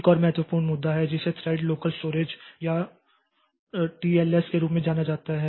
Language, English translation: Hindi, There is another important issue which is known as thread local storage or TLS